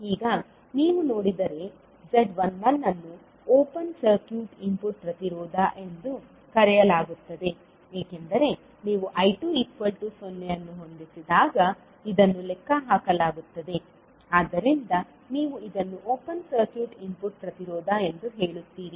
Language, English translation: Kannada, Now, if you see Z11 is called as a open circuit input impedance because this is calculated when you set I2 is equal to 0, so you will say that this is open circuit input impedance